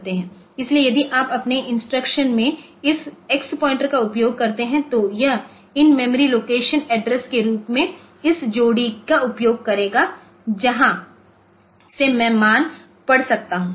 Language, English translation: Hindi, So, if you use this X pointer in your instruction then it will be using this pair as the memory location address from where the value should be read